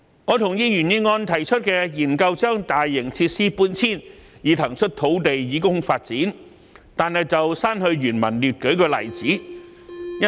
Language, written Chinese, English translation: Cantonese, 我同意原議案提出的建議，研究將大型設施搬遷，以騰出土地以供發展，但我在修正案中刪去原議案列舉大型設施的例子。, While I agree with the proposal in the original motion to conduct studies on the relocation of large - scale facilities to vacate land for development in my amendment I have deleted the examples of large - scale facilities from the original motion